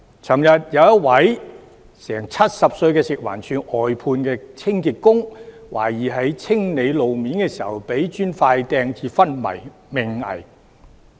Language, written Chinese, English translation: Cantonese, 昨天有一位近70歲的食物環境衞生署外判清潔工，懷疑在清理路面時遭人投擲磚塊以致昏迷命危。, Yesterday an almost 70 - year - old outsourced cleaning worker for the Food and Environmental Hygiene Department was allegedly hit in the head by a brick hurled at him when he was clearing objects on the road . He went into a coma and was in critical condition